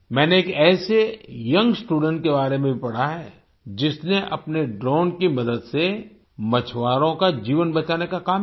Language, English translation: Hindi, I have also read about a young student who, with the help of his drone, worked to save the lives of fishermen